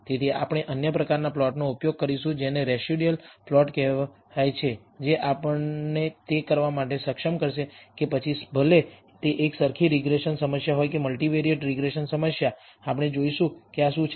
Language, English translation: Gujarati, So, we will use other kinds of plots called residual plots, which will enable us to do this whether it is a univariate regression problem or a multivariate regression problem, we will see what these are